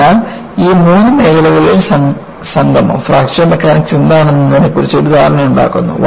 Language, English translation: Malayalam, So, the confluence of these three fields, give rise to an understanding of, what is Fracture Mechanics